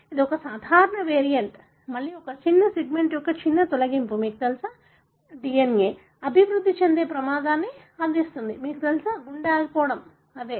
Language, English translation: Telugu, This is a common variant, again a small deletion of a small segment of, you know, DNA, which confer risk for developing, you know, cardiac arrest, right